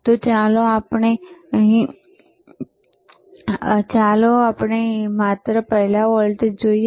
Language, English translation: Gujarati, So, let us first see just the voltage